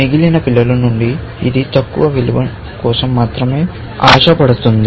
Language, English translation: Telugu, From the remaining children, it is only looking for lower value